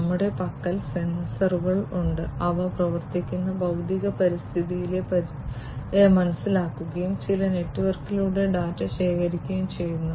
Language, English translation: Malayalam, So, we have over here, we have sensors, which will sense the environment in the physical environment in which they operate, collect the data pass it, through some network